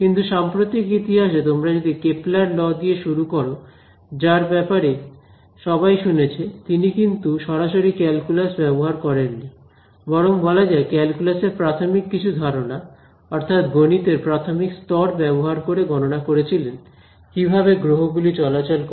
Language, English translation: Bengali, But at least in the recent modern history, you start with the Kepler who everyone is heard of and he used a sort of not calculus, but something predating calculus a very elementary sort of math to predict how planets moved